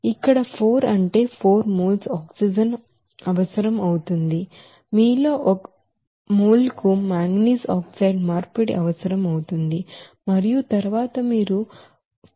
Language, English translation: Telugu, Here 4 means here 4 moles of oxygen is required for that one mole of you know that manganese oxide conversion and then you can say that 4 into 0